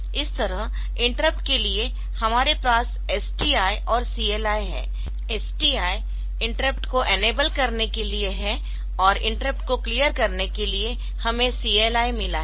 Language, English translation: Hindi, Similarly, for the interrupts we can have STI for enabling the interrupts; and we have got CLI for clearing the interrupts